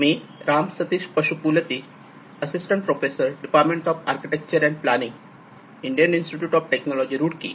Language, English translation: Marathi, I am Ram Sateesh Pasupuleti, assistant professor, department of Architecture and Planning, IIT Roorkee